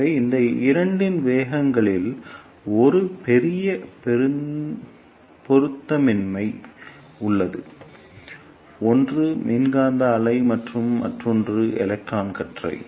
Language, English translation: Tamil, So, there is a huge mismatch in the velocities of these two; one is electromagnetic wave and another one is electron beam